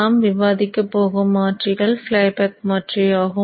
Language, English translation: Tamil, You have the switch here with the flyback converter